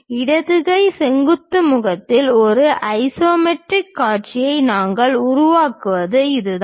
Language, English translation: Tamil, This is the way we construct isometric view in the left hand vertical face